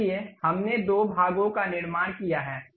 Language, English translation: Hindi, So, we have constructed two parts